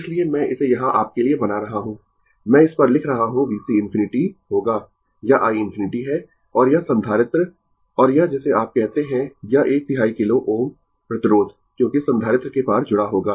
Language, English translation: Hindi, So, I am making it here for you, I am writing on it V C infinity will be this is your i infinity and this capacitor and this ah your what you call is this one third kilo ohm resistance as will connected across the capacitor